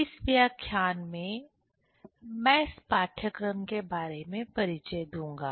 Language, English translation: Hindi, In this lecture, I will give introduction about this course